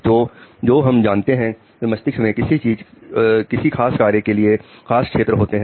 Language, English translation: Hindi, So what we know that brain has specialized area for a specific function